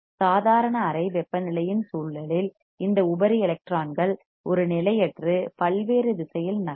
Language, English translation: Tamil, Under the influence of normal room temperature, these free electrons move randomly in a various direction right